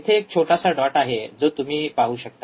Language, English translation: Marathi, there is a small dot there is a small dot you see